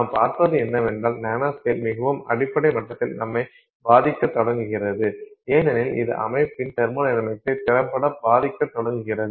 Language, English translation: Tamil, So, and what we will see is that the nanoscale starts impacting us at a very more very fundamental level because it effectively starts impacting the thermodynamics of the system itself